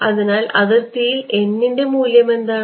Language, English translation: Malayalam, So, at the boundary, what is the value of n